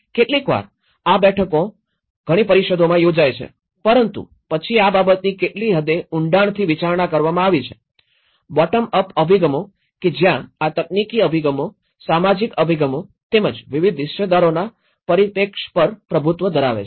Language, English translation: Gujarati, Sometimes, these meetings do held in many councils but then to what extent this has been considered and how depth these are, the bottom up approaches and this is where the technical approaches dominates with the social approaches as well the perspective of different stakeholders